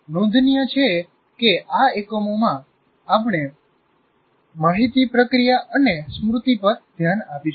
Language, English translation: Gujarati, Particularly in this unit, we will be focusing on information processing and memory